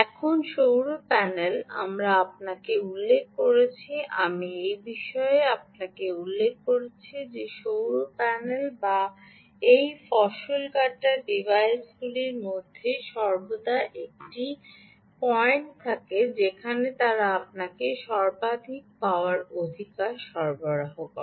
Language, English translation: Bengali, solar panel we did mention to you about, i did mention to you about the fact that the solar panel or any of these harvesting devices, always have a point at which they ah provide you maximum power, right